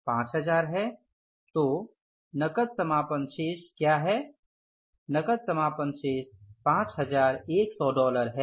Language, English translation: Hindi, Closing cash balance is $5,100